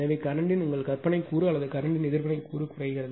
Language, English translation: Tamil, So, your imaginary component of the current or reactive component of the current will decrease